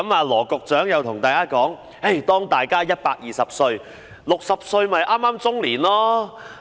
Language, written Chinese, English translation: Cantonese, 羅局長又告訴大家，當大家120歲 ，60 歲剛好是中年。, Secretary Dr LAW also told us that when we will live to 120 years at the age of 60 we are just middle - aged